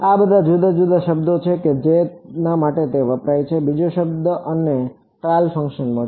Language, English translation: Gujarati, These are all the different words used for it another word is you will find trial function